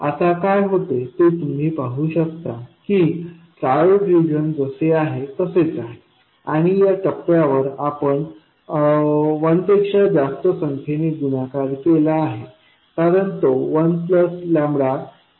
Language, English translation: Marathi, Now what happens is you can see that the triode region remains as it is and because at this point you multiply it by some number more than 1 because it is 1 plus lambda VDS